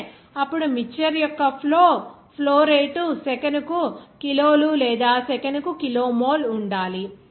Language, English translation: Telugu, 05 meter, then what should be the flow rate of the mixture in kg per second or kilomole per second